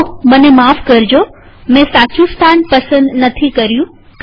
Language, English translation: Gujarati, Sorry, I did not choose the correct position